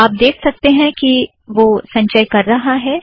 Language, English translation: Hindi, You can see it is compiling